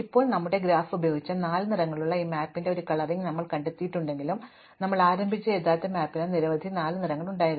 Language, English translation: Malayalam, Now, you might observe that though we have found a coloring of this map using our graph with only four colors, the original map which we started with had many more than four colors